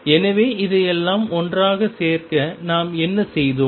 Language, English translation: Tamil, So, to collect all this together what have we done